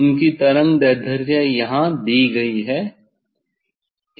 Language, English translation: Hindi, their wavelength is given here